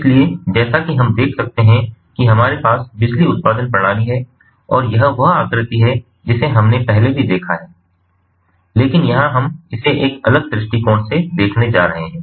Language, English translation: Hindi, so what we have, as we can see, is here we have the power generation system, and this is the figure that we have seen earlier as well, but here we are going to look at it from a different perspective